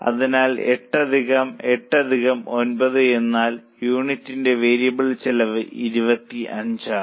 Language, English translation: Malayalam, So, 8 plus 8 plus 9 means variable cost per unit is 25